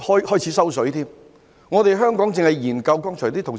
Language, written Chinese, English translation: Cantonese, 剛才有同事提到，香港一味研究，進度緩慢。, A colleague just said that there were endless studies in Hong Kong and the progress was slow